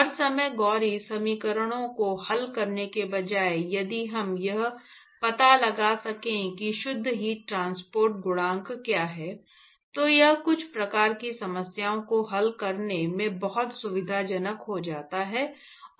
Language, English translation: Hindi, Instead of solving gory equations all the time, if we can find out what is the net heat transport coefficient, then it becomes very convenient in solving some kinds of problems